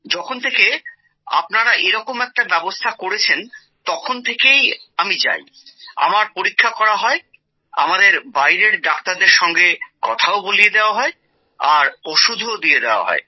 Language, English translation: Bengali, And since the arrangement has been made by you, means that I go now, I am examined, it also makes us talk to doctors from outside and also provides us medicines